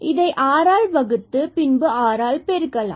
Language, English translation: Tamil, So, let us assume this r not equal to 0 we can divide by r and multiplied by r